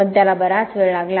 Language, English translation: Marathi, But it did take quite a while